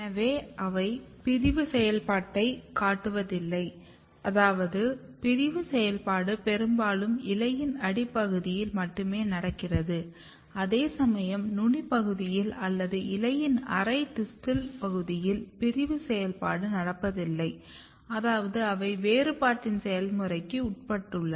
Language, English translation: Tamil, So, they are not; they are not showing the division activity, so which means that the division activity is mostly restricted to the basal half region of the leaf whereas, the apical half region or the distal half region of the leaf basically they lack the division activity, which means that they are; they are; they are undergoing the process of differentiation